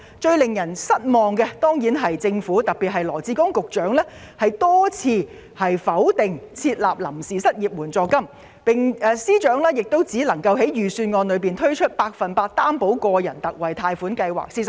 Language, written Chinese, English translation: Cantonese, 最令人失望的，自然是羅致光局長多次拒絕設立臨時失業援助金，而司長隨之只在預算案中推出百分百擔保個人特惠貸款計劃。, The most disappointing of all is surely the repeated refusal of Secretary Dr LAW Chi - kwong to provide temporary unemployment assistance . As a result FS can only introduce a 100 % Personal Loan Guarantee Scheme in the Budget instead